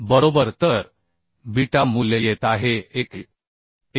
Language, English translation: Marathi, 029 right So beta value is coming 1